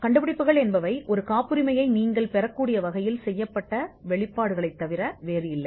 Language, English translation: Tamil, Inventions are nothing but disclosures which are made in a way in which you can get a patent granted